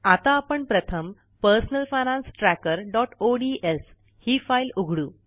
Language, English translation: Marathi, Let us open our Personal Finance Tracker.ods file first